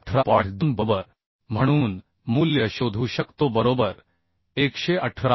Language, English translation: Marathi, 1 then we can find out the value as 118